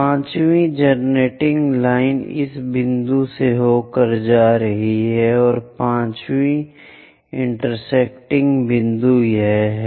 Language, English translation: Hindi, 5th generator line is passing through this point and 5th one intersecting point that